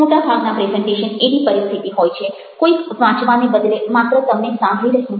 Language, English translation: Gujarati, most presentations are situation where somebody is listening to you rather than reading you